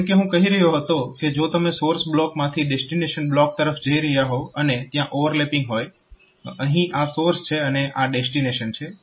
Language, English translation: Gujarati, So, as I was telling that if you are moving from source block to the destination block and if you have got if there is overlapping